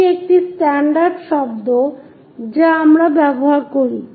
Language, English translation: Bengali, This is the standard words what we use